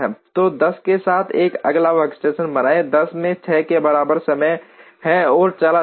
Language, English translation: Hindi, So, create a forth workstation with 10, 10 has time equal to 6 and goes